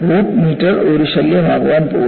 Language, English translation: Malayalam, The root meter is going to be a nuisance